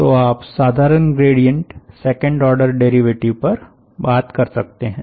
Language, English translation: Hindi, so you can talk about simple gradients, second order derivatives and so on